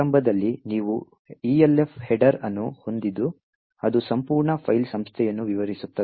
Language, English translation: Kannada, It has a structure as shown over here, at the start you have an Elf header which describes the entire file organisation